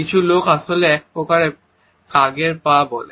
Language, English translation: Bengali, Some people actually call these crows feet